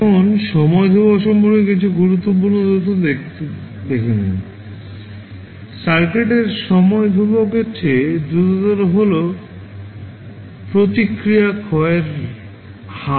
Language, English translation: Bengali, Now, let see some important facts about the time constant, smaller the time constant of the circuit faster would be rate of decay of the response